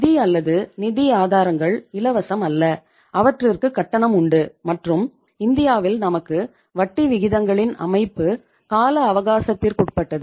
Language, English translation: Tamil, Finance or the financial resources, they are not free they have a cost and in India we have term structure of interest rates, term structure of interest rates